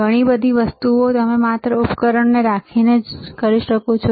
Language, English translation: Gujarati, So many things you can do by having just a single device